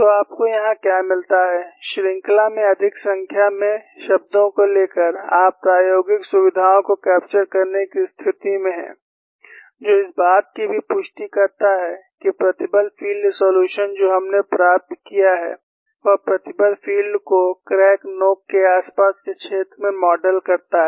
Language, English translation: Hindi, So, what you get here is, by taking more number of terms in the series, you are in a position to capture the experimental features, which also gives a confirmation, that the stress field solution what we have obtained, indeed models the stress field in the near vicinity of the crack tip